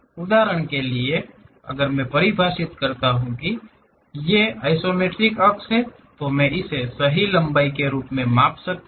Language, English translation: Hindi, For example, if I am defining these are the isometric axis; I can measure this one as the true length